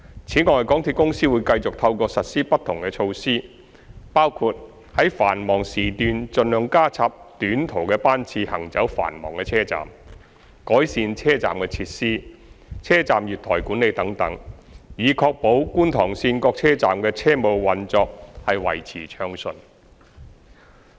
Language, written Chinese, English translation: Cantonese, 此外，港鐵公司會繼續透過實施不同措施，包括在繁忙時段盡量加插短途班次行走繁忙車站、改善車站設施、車站月台管理等，以確保觀塘綫各車站的車務運作維持暢順。, Furthermore MTRCL will continue to maintain smooth operations of the stations along Kwun Tung Line by adopting various measures including introducing short trips for busy stations as far as possible during peak hours; improving station facilities and platform management etc